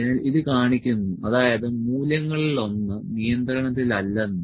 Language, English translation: Malayalam, So, it is as showing that one of the value is not in control